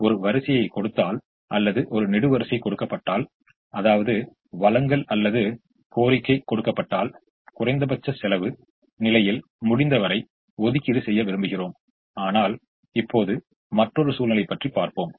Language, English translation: Tamil, so, given a row or given a column, which means given a supply or given a demand, we would like to have as much allocation as possible in the corresponding least cost position